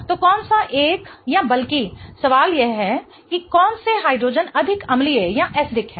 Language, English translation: Hindi, So, which one or other the question is which hydrogens are much more acidic, right